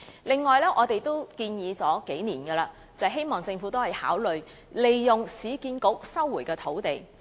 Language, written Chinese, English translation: Cantonese, 此外，我們已提出多年，希望政府可以考慮利用市區重建局收回的土地。, Besides as we have suggested for years we hope the Government will consider using the sites resumed by the Urban Renewal Authority URA